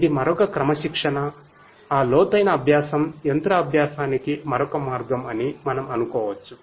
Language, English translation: Telugu, It is another discipline of, we can think of that deep learning is another way of machine learning we can think that way